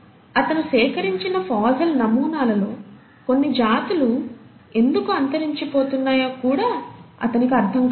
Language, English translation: Telugu, He also did not understand why certain species for which he had collected the fossil samples become extinct